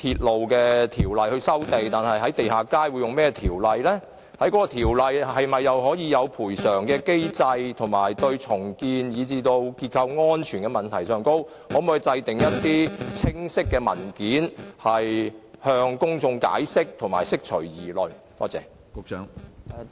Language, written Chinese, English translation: Cantonese, 當局可否就有關條例是否訂有賠償機制，以及它就重建以至結構安全問題的處理，擬備清晰文件向公眾作出解釋，釋除公眾的疑慮？, Can the authorities address public concerns in this regard by preparing a paper to clearly explain to the public whether a compensation mechanism is provided for in these ordinances and how such issues as redevelopment and structural safety will be dealt with under such ordinances?